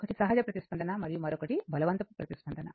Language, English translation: Telugu, One is natural response and other is the forced response right